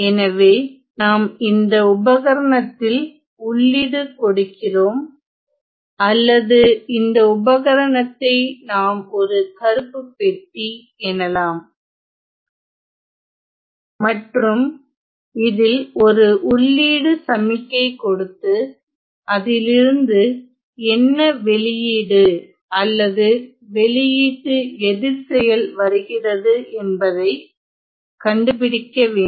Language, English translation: Tamil, So, we let us say we provide an input signal to the device or we can call this device as some black box we provide an input signal and we want to figure out what is the output signal or the output or the response to this input signal to the device